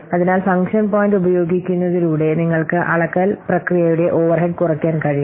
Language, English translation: Malayalam, So by using function point, you can minimize the overhead of the measurement process